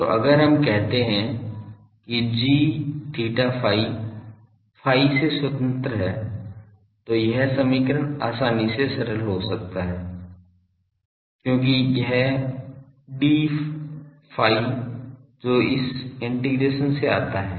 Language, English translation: Hindi, So, if we say that g theta phi is independent of phi then this equation readily gets simplified because this d phi that comes out this integration we can perform